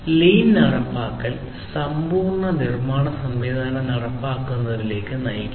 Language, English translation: Malayalam, So, implementation of lean basically leads to the implementation of the full manufacturing system